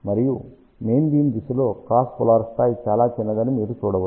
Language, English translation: Telugu, And you can see that along the main beam direction, cross polar level is very very small